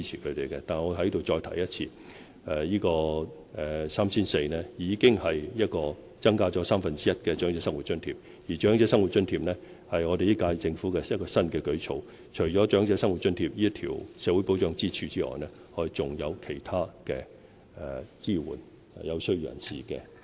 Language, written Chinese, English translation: Cantonese, 我在此再重申 ，3,400 元已經是增加了三分之一的"長者生活津貼"，而"長者生活津貼"是本屆政府的新舉措；除了"長者生活津貼"這根社會保障支柱外，我們還有其他途徑支援有需要的人士。, Let me reiterate 3,400 is already one third higher than the existing rate of OALA and OALA is a new measure introduced by the incumbent Government . Apart from this social security pillar of OALA we also have other channels to support the needy